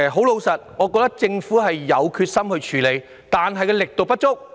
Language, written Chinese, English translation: Cantonese, 老實說，我認為政府有決心處理問題，但卻力度不足。, I honestly think that the Government does have the determination to tackle the problem but the measures adopted are not forceful enough